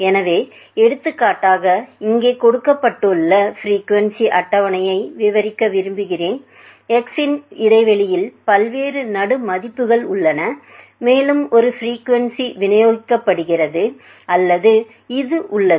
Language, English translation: Tamil, So, let us say for example, we want to describe a frequency table as given here, you have several different mid values of the interval x, and there is a frequency also which is distributed or which is actually shown here